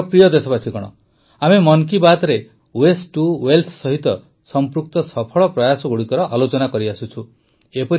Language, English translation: Odia, My dear countrymen, in 'Mann Ki Baat' we have been discussing the successful efforts related to 'waste to wealth'